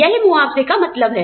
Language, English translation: Hindi, That is what, compensation means